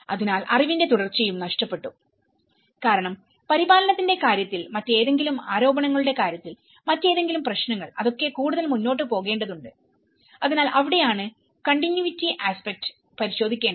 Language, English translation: Malayalam, So, that is where the continuity and loss of knowledge because in terms of maintenance, in terms of any other allegations, any other issues to be taken further so that is where the continuity aspect has to be looked into it